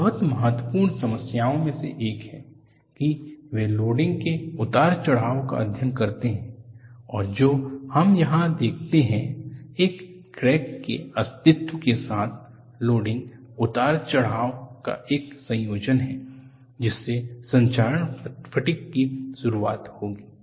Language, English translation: Hindi, It is one of the very important problem, that they study the loading fluctuations, and what we look at here is combination of loading fluctuation with existence of a crack, will lead to onset of corrosion fatigue